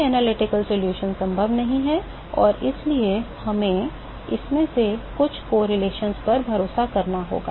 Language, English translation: Hindi, No analytical solution is possible and therefore, we have to rely upon something, some of these correlations